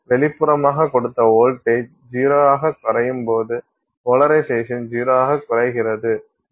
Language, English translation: Tamil, When that externally applied voltage dropped to zero, the polarization also dropped to zero